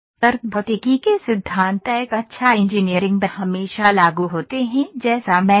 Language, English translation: Hindi, The principles of logic physics a good engineering always applied as I said